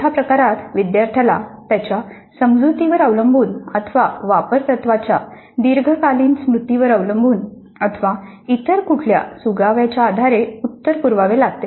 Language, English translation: Marathi, In the supply type, the student has to supply the answer based on his or her understanding or long time memory of the apply procedure or other kinds of clues